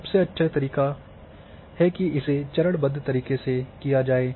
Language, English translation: Hindi, Therefore, it is better to go step by step